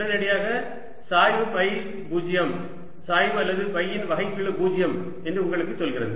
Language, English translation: Tamil, immediately tells you that grad phi is zero gradient or the or the or the derivative of phi zero